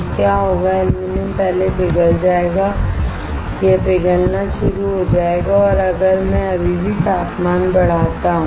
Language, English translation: Hindi, What will happen aluminum will first get melt it will start melting and if I still keep on increasing the temperature